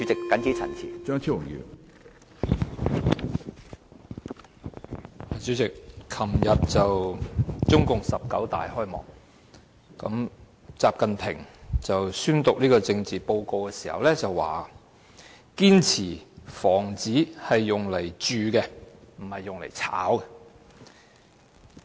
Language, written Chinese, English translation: Cantonese, 主席，昨天中國共產黨第十九次全國代表大會開幕，習近平宣讀政治報告時表示，"堅持房子是用來住的，不是用來炒的"。, Chairman at the opening of the 19 National Congress of the Communist Party of China NPC yesterday XI Jinping stated in his political report that houses are for people to live in not for speculation